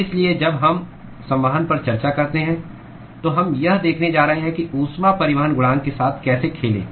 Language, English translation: Hindi, So, when we discuss convection, we are going to look at how to play with the heat transport coefficient